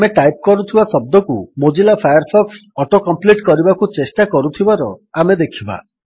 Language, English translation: Odia, We see that Mozilla Firefox tries to auto complete the word we are typing